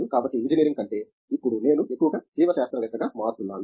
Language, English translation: Telugu, So, mostly from engineering and now I am becoming mostly a biological